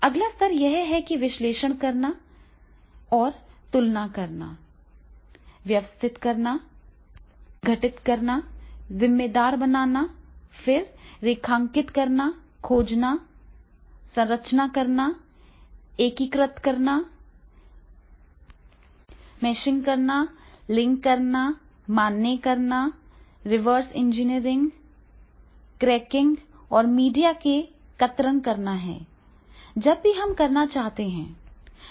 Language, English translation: Hindi, Next level is that is the analysing, in analysing and comparing, organizing, deconstructing, attributing then the outlining, finding, structuring, integrating, mashing, linking, validating, reverse engineering, cracking and media clipping is to be done, whenever we want to make the analyses of the digital content, then how it is to be done